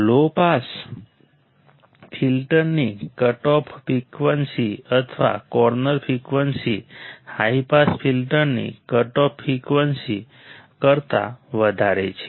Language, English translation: Gujarati, The cutoff frequency or corner frequency of low pass filter is higher than the cutoff frequency of high pass filter right